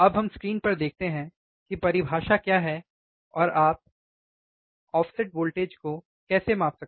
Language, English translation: Hindi, Now, let us see the on the screen what what the definition is and how we can measure the output offset voltage, right